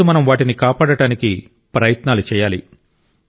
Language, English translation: Telugu, Today we are required to make efforts to save it